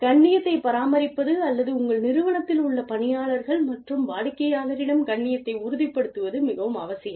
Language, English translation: Tamil, It is very essential to maintain the dignity, or to ensure the dignity of the employees, and the customers in your organization